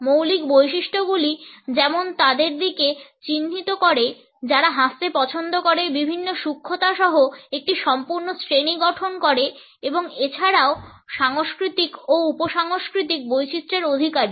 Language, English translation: Bengali, The basic characteristics for example, point to those which like laughing form a whole class with different nuances and also possess cultural and subcultural varieties